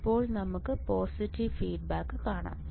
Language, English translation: Malayalam, Now let us see positive feedback